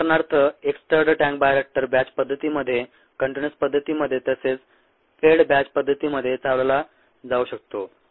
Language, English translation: Marathi, for example, a stirred tank bioreactor can be operated in a batch mode, in a continuous mode, as well as in a fed batch mode, whereas may be a packed bed